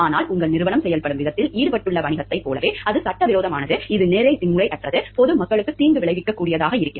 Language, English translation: Tamil, But then you finds like the business that your organization is involved in the way that it is doing things, it is illegal, it is unethical, it is harmful to the public at large